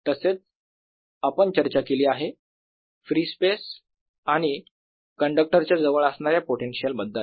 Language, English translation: Marathi, so we have talked about fields, potential in free space and near a conductor